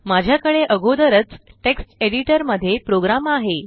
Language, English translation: Marathi, I already have program in a text editor